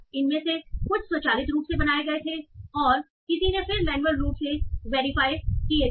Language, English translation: Hindi, Some of these were created automatically and someone then manually verified